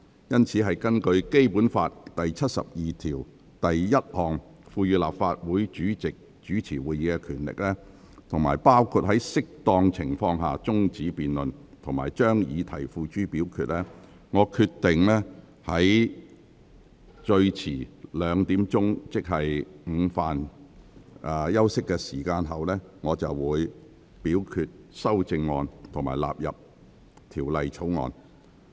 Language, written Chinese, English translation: Cantonese, 因此，根據《基本法》第七十二條第一項賦予立法會主席主持會議的權力，包括在適當情況下終止辯論及將議題付諸表決，我決定最遲在下午2時，即午飯休息後，表決修正案及條文納入《條例草案》。, Thus according to the powers to preside over meetings conferred on the President of the Legislative Council by Article 721 of the Basic Law which include the power to end a debate and put the question to vote I have decided that the question on the amendment and the question that the clauses stand part of the Bill will be put to vote at 2col00 pm the latest ie . after the lunch break